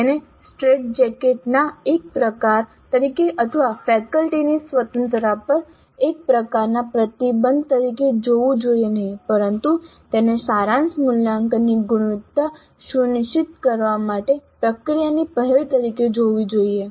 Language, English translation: Gujarati, So, it should not be seen as a kind of a straight jacket or as a kind of a restriction on the freedom of the faculty but it should be seen as a process initiative to ensure quality of the summative assessment